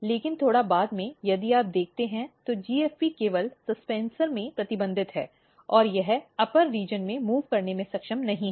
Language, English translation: Hindi, But slightly later stage, if you look, the GFP is only restricted in the suspensor and it is not able to move in the upper region